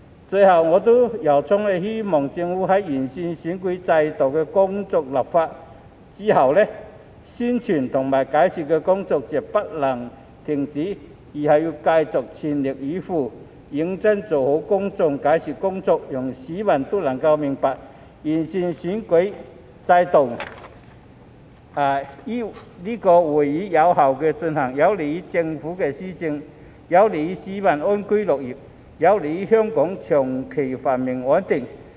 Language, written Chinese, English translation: Cantonese, 最後，我由衷希望政府在完成完善選舉制度的立法工作後，宣傳和解說的工作絕不能停止，要繼續全力以赴，認真做好公眾解說的工作，讓市民都能明白完善選舉制度將有利於議會有效運作、有利於政府施政、有利於市民安居樂業、有利於香港長期繁榮穩定。, Lastly I sincerely hope that after the Government has completed the legislative work on improving the electoral system it will definitely not cease its publicity and explanation efforts . It has to continue to spare no effort to do a good job at giving explanations to the public so that the public will understand that improving the electoral system will be conducive to the effective operation of the Council to the administration of the Government to people living and working in peace and contentment and to the long - term prosperity and stability of Hong Kong